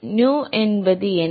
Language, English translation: Tamil, What is nu